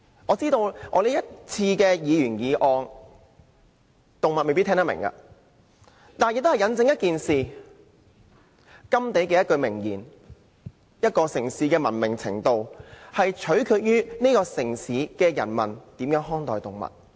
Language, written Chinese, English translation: Cantonese, 我知道我提出是項議員議案，動物未必聽得懂，但也印證了甘地的一句明言："一個城市的文明程度，取決於城市的人民如何看待動物"。, I know that animals may not understand this motion that I propose . However my motion has also borne testimony to a famous saying of Mr Mahatma GANDHI The degree to which a city is civilized depends on the way how the people in the city treat animals